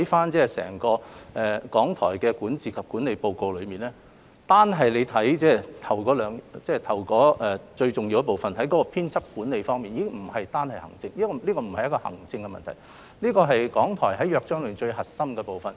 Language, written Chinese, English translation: Cantonese, 只要細閱整份《檢討報告》，便可發現單是開首最重要部分提到的編輯管理，已不屬於行政問題，而是港台根據《約章》的最核心功能。, Just take a detailed look at the entire Review Report and one can simply note from the discussion of editorial management which is the most important part at the beginning of the report that the subject itself is by no means an administrative issue but a core function of RTHK under the Charter